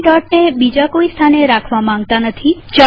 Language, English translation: Gujarati, We do not want to place the dot at any other place